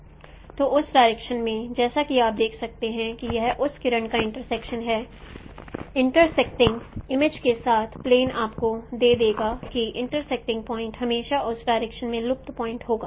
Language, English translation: Hindi, So in that direction as you can see that it is the intersection of that ray with respect to image plane will give you that intersecting point will be always the vanishing point along that direction